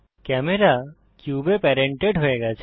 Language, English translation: Bengali, The camera is no longer parented to the cube